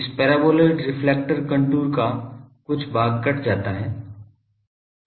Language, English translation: Hindi, That certain portion of this paraboloidal reflector contour is cut